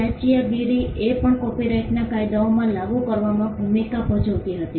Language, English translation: Gujarati, Piracy also played a role in having the copyright laws in place